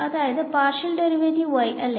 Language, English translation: Malayalam, So, partial derivatives y and here is going to be ok